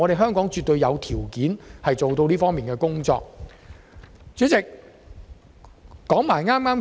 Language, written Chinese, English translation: Cantonese, 香港絕對有條件做到再工業化。, Hong Kong has all the conditions required for re - industrialization